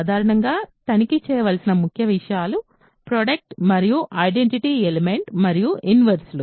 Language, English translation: Telugu, Typically, the key things to check would be product and identity element and inverses